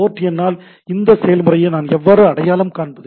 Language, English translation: Tamil, How do I identify the process is by the port number